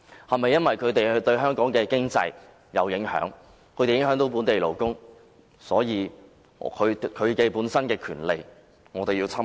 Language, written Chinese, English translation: Cantonese, 是否因為他們對香港的經濟有影響，會影響本地勞工，所以他們的權利便要受到侵害？, Should their rights be violated merely because they have exerted certain impacts on local economy and local workers?